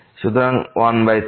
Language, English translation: Bengali, So, 1 by 3